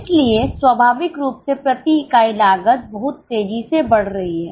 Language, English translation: Hindi, So, naturally the per unit cost is going to vary sharply